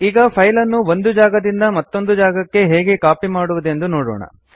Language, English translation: Kannada, Let us see how to copy a file from one place to another